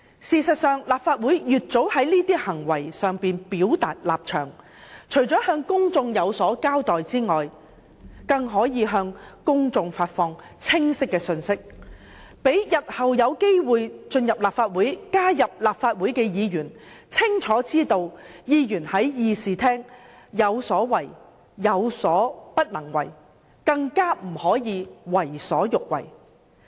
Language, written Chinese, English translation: Cantonese, 事實上，立法會應盡早就這些行為表達立場，除了向公眾有所交代外，更可發放清晰的信息，讓日後有機會進入立法會擔任議員的人士清楚知道，議員在議事廳有所為、有所不能為，不可以為所欲為。, As a matter of fact the Council should state clearly its position in respect of such behaviour so as to give an account to society and send a clear message to potential lawmakers that there are limits to how Members may act in the Chamber and that Members may not act as they like